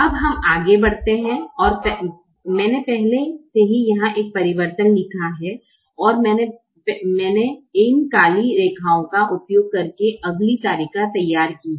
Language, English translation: Hindi, now we proceed now, and i have written the same alteration here already and i have drawn the next table using this black lines